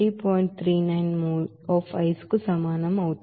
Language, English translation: Telugu, 39 mole of ice